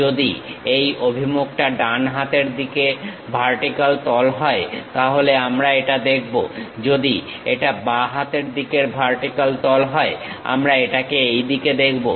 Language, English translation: Bengali, If it is right hand vertical face the orientation, then we will see this one; if it is a left hand vertical face, we will see it in this way